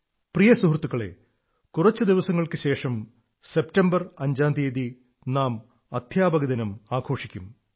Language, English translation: Malayalam, My dear countrymen, in a few days from now on September 5th, we will celebrate Teacher's day